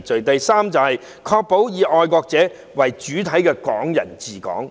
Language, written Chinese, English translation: Cantonese, 第三，確保以愛國者為主體的"港人治港"。, The third one is to ensure that the administration of Hong Kong by Hong Kong people with patriots as the main body